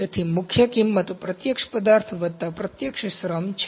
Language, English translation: Gujarati, So, prime cost is direct material plus direct labour